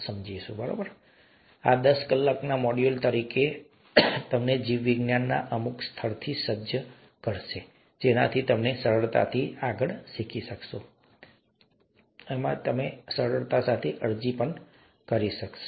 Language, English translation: Gujarati, Okay, we’ll give this to you as a ten hour module, and that would equip you with some level of biology with which you can learn further with ease and also start applying with ease